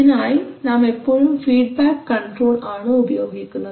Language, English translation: Malayalam, So for that we always use feedback control